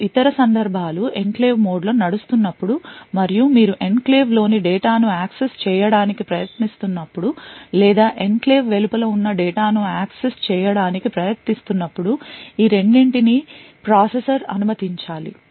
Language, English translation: Telugu, The two other cases are when you are actually running in the enclave mode and you are trying to access data within the enclave or trying to access data which is outside the enclave so both of this should be permitted by the processor